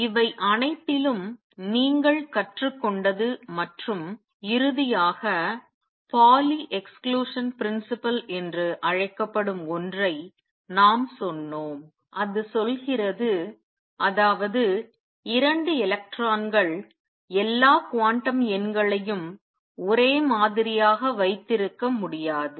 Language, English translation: Tamil, And what you learned in the all this and finally, we also said something called the Pauli Exclusion Principle exist that says is that no 2 electrons can have all the quantum numbers the same